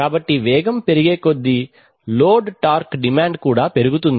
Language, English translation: Telugu, So as the speed increases the load torque demand also increases